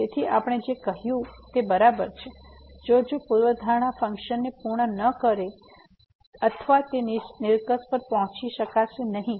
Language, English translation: Gujarati, So, exactly what we have said if the hypotheses are not met the function may or may not reach the conclusion